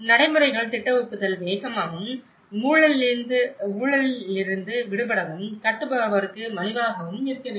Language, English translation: Tamil, Procedures, the plan approval should be fast, free from corruption and inexpensive for builder